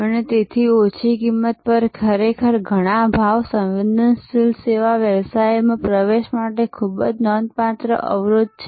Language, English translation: Gujarati, And so low cost is really a very significant barrier to entry in many price sensitive service businesses